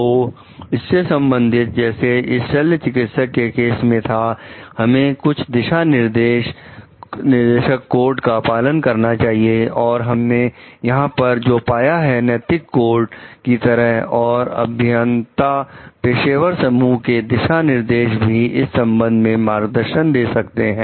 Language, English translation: Hindi, So, regarding this like in the case of surgeons; so, we need to follow some guides codes and what we find over here, like ethics codes and guidelines of engineering professional societies, also provide some guidance regarding it